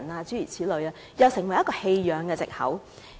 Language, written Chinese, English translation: Cantonese, 這又成為一個棄養的藉口。, That is another excuse for abandonment